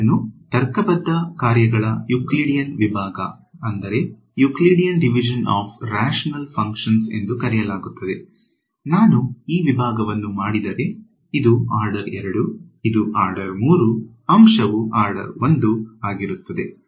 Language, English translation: Kannada, It is called Euclidean division of rational functions, if I do this division this is order 2, this is order 3, the quotient will be order 1 right